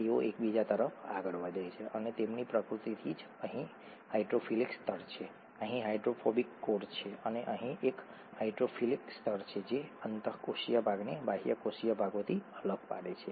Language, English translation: Gujarati, And hydrophobic, like likes like, therefore they orient towards each other and by their very nature there is a hydrophilic layer here, there is a hydrophobic core here, and a hydrophilic layer here, separating the intracellular from the extracellular parts